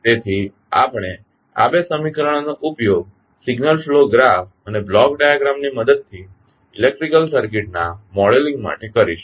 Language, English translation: Gujarati, So, we will use these two equations to model the electrical circuit using signal flow graph and the block diagram